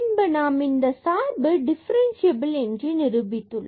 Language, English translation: Tamil, And, then we have proved that this function is differentiable